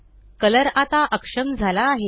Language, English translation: Marathi, Color is now disabled